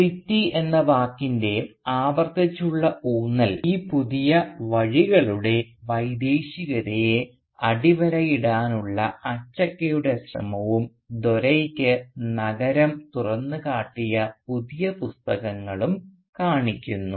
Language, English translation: Malayalam, Now this repeated stress on the word, City, both shows an effort by Achakka to underline the foreignness of these new ways and new books to which Dore was exposed in the city